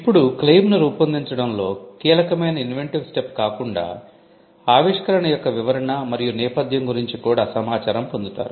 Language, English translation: Telugu, Now, apart from the inventive step which would be critical in drafting the claim, you will also get information on description and background of the invention